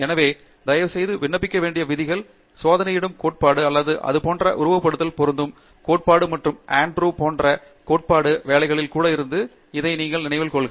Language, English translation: Tamil, So, please remember that the rules that apply, the theory that applies to experiments or equally applies to simulation as well and like Andrew said, even in to theoretical work